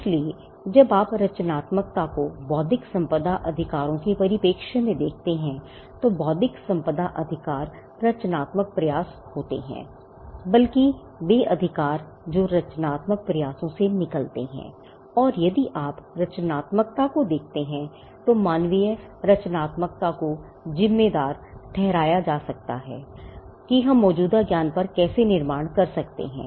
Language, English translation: Hindi, So, when you look at creativity from the perspective of intellectual property rights, intellectual property rights are creative endeavors or rather the rights that come out of creative endeavors and if you look at human creativity itself human creativity can be attributed to how we build on existing knowledge